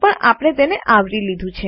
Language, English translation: Gujarati, But we have covered that